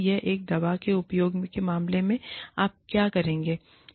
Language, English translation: Hindi, It is similar to, what you would do in a drug use case